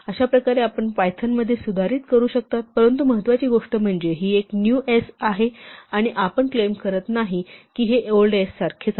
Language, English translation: Marathi, So, this is how you modify strings in python, but important thing is this is a new s we are not claiming that this s is same as old s